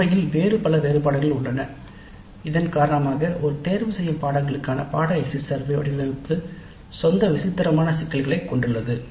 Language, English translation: Tamil, In fact there are many other variations because of each the design of the course exit survey for an elective course has its own peculiar issues